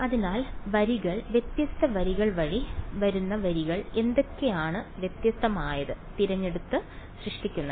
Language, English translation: Malayalam, So, the rows, what are the rows coming by the different rows are being generated by choosing different what